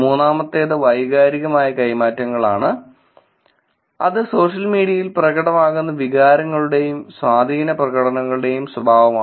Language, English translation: Malayalam, The next one we look at is emotional exchange, which is nature of emotions and affective expression that are being discussed on social media